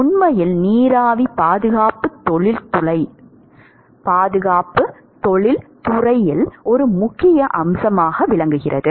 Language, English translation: Tamil, In fact, steam conservation is actually an important aspect in industry